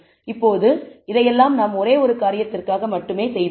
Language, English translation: Tamil, Now, all this we have done only for single thing